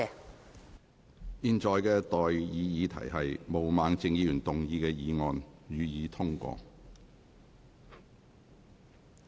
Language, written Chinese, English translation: Cantonese, 我現在向各位提出的待議議題是：毛孟靜議員動議的議案，予以通過。, I now propose the question to you and that is That the motion moved by Ms Claudia MO be passed